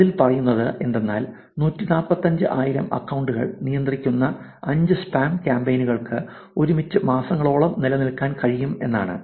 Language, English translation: Malayalam, So, 5 spam campaigns controlling 145 thousand accounts combined are able to persist for months at a time